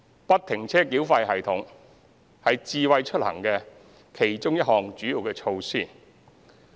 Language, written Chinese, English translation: Cantonese, "不停車繳費系統"是"智慧出行"的其中一項主要措施。, The free - flow tolling systemis a major Smart Mobility initiative